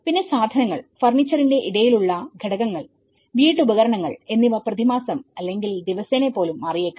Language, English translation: Malayalam, And the stuff, the intermediate elements of furniture, appliances may change even monthly or even daily